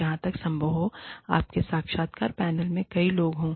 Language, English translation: Hindi, So, as far as possible, have several people on your interview panel